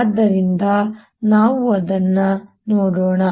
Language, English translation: Kannada, so let's look at this